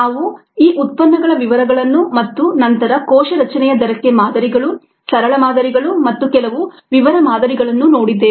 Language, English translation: Kannada, we looked at ah, the details of these products, and then the models for the rate of cell formation, simple models, as well as some ah detail models